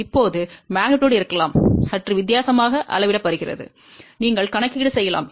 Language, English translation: Tamil, Now, magnitude can also be measured slightly different way, you can do the calculation